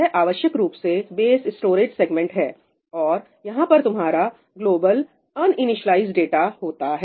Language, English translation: Hindi, This is essentially the base storage segment and this has your global uninitialized data